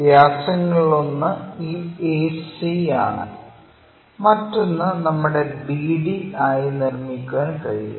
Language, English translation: Malayalam, One of the diameter is this AC, the other diameter we can make it like BD